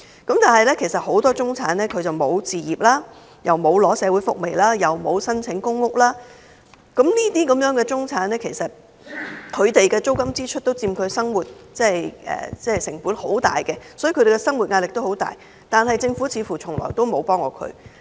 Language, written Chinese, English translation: Cantonese, 但是，其實很多中產人士並無置業，也沒有領取社會福利或申請公屋，這類人士的租金支出也佔其生活開支很大部分，他們的生活壓力也很大，但政府似乎從來沒有幫過他們。, However many middle - class people do not own their own flats; worse still they have neither received social welfare nor applied for PRH . While these people are hard - pressed by the excessive spending on rent the Government does not seem to have ever given them a helping hand